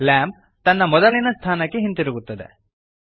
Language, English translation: Kannada, The lamp moves back to its original location